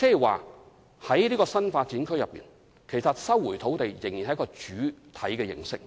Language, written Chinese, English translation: Cantonese, 換言之，就新發展區而言，政府收回土地仍然是主體模式。, In other words as far as NDAs are concerned land resumption by the Government is still the major approach